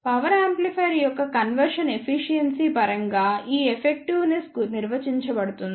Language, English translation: Telugu, This effectiveness is defined in terms of the conversion efficiency of power amplifier